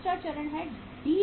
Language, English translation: Hindi, Second stage is Dwip